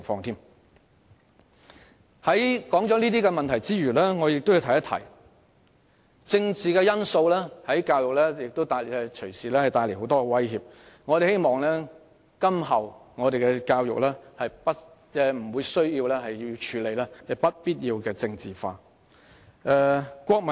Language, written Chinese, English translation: Cantonese, 除上述問題外，我亦想指出政治因素亦隨時會為教育帶來很多威脅，希望今後我們的教育無須處理不必要的政治化問題。, Apart from all of these problems I also wish to point out that political factors may subject education to a lot of threats anytime and I hope that we do not have to deal with unnecessary politicized issues in the realm of education in future